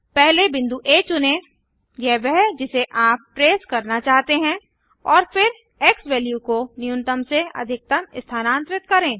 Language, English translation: Hindi, First select point A thats what you want to trace and then move the xValue from minimum to maximum